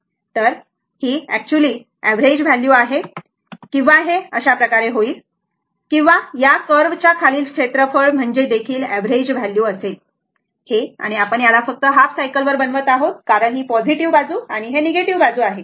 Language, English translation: Marathi, So, this is actually the average value or you can do like this or average value will be, you find out the area under the curve, this is the and we will make it only over the half cycle is because this is positive side, this is negative side